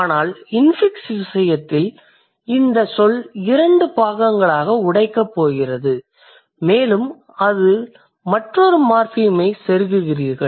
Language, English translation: Tamil, But in case of infix, the word is going to be broken into two parts and you are inserting another morpham into it